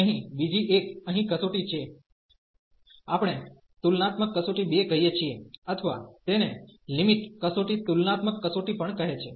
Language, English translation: Gujarati, There is another test here, it is we call comparison test 2 or it is called the limit test also limit comparison test